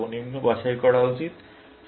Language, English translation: Bengali, I should pick the lowest